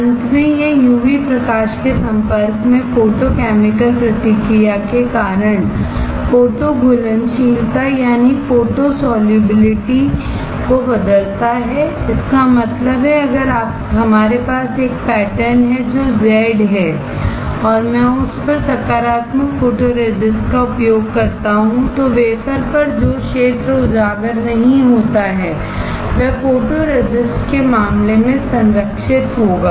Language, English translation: Hindi, Finally, it changes photo solubility due to photochemical reaction exposed to UV light; that means, if we have a pattern which is Z and I use positive photoresist on it, then on the wafer the area which is not exposed will be protected in case of photoresist